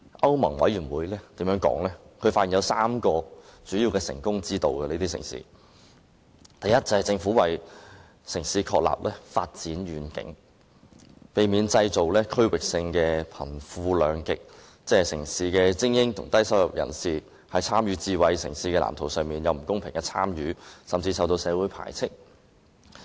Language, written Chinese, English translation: Cantonese, 歐盟委員會更發現這些智慧城市有3項主要的成功要訣，第一，政府為城市確立發展遠景，避免製造區域性的貧富兩極，即城市的精英與低收入人士，在參與智慧城市的藍圖方面，出現不公平的參與程度，甚至有人備受社會排斥。, The European Commission has even found that these smart cities have three major keys to success . Firstly the Government determines the vision for development in these cities to prevent polarization between the rich and the poor in different regions or unfairness in participation in the smart city blueprint by urban elites and low - income earners and even rejection by the community